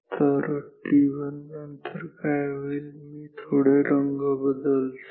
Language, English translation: Marathi, So, after t 1 what will happen let me change the colours